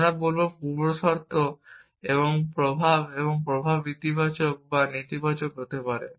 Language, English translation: Bengali, We will say preconditions and effects and effects can be positive or negative